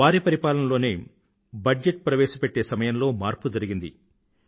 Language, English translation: Telugu, It was during his tenure that the timing of presenting the budget was changed